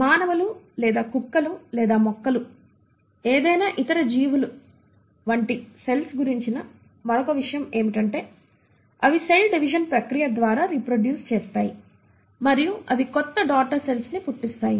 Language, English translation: Telugu, The other thing about cells like any other organism whether human beings or dogs or plants is that they reproduce through the process of cell division and they give rise to new daughter cells